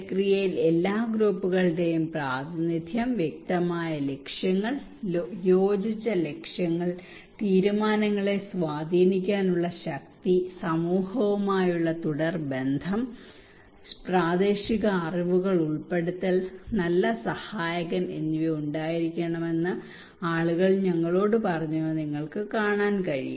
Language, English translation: Malayalam, And you can see what people told us they said that process there should be representation of all groups, clear objectives, agreed objectives, power to influence decisions, continued relation with the community, incorporating local knowledge, good facilitator